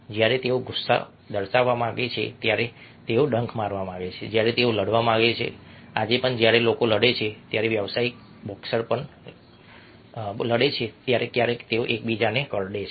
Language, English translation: Gujarati, when this display anger, when they want to bite, when they want to fight even today, when people fight even professional boxers fight sometimes they bite one another